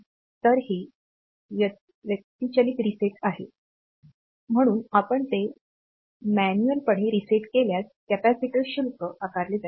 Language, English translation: Marathi, So, this is the manual reset, so if you manually reset it then this capacitor will get charged